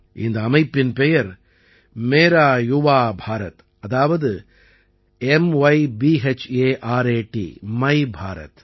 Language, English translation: Tamil, The name of this organization is Mera Yuva Bharat, i